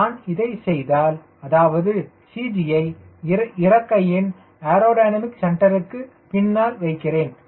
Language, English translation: Tamil, ah, first case, i put cg behind the aerodynamic centre of the wing